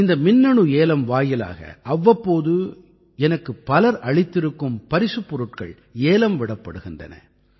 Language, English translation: Tamil, This electronic auction pertains to gifts presented to me by people from time to time